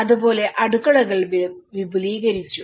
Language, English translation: Malayalam, Similarly, the kitchens were extended